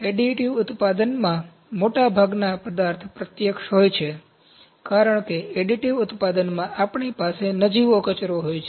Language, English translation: Gujarati, In additive manufacturing, most of the material is direct, because we are having negligible waste in additive manufacturing